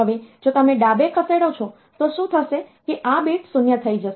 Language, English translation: Gujarati, Now, if you are doing a left shift then what will happen, this bit will become 0